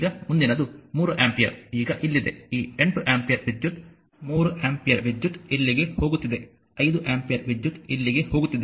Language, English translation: Kannada, Now, next is the 3 ampere now here in here it is now this 8 ampere, current 3 ampere is going here, 5 ampere is going here